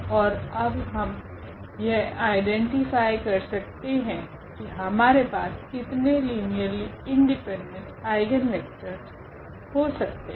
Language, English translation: Hindi, And then and now we can identify that how many linearly independent eigenvectors we are going to have in this particular case